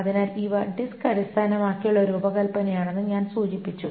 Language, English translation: Malayalam, So I mentioned that these are disk based design